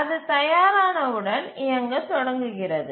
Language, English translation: Tamil, And as soon as it becomes ready, it starts running